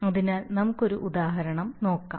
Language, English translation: Malayalam, So let us see how so one example